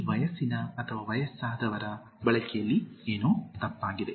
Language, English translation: Kannada, What is wrong with the use of this age or aged